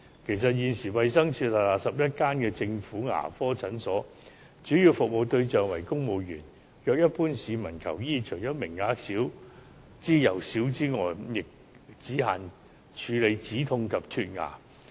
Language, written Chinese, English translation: Cantonese, 其實，現時衞生署轄下11間政府牙科診所的主要服務對象為公務員，如一般市民求醫，除名額少之又少之外，亦只限於止牙痛及脫牙。, Actually the existing 11 government dental clinics under DH mainly serve civil servants . The quotas for ordinary people who wish to seek treatment are very few and the services are only confined to the treatment of toothache and dental extraction